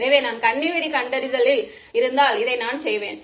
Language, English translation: Tamil, So, if I were doing landmine detection I would do this